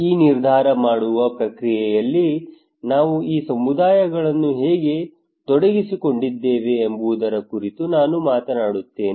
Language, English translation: Kannada, I will talk about that how we involved these communities into this decision making process